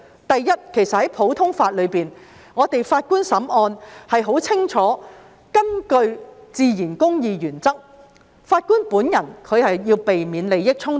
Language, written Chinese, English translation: Cantonese, 第一，在普通法中，法官審案須根據自然公義原則，這是十分清楚的，法官本人要避免利益衝突。, First under common law judges should follow the principle of natural justice in the adjudication of cases . This is crystal clear . Judges should avoid conflict of interests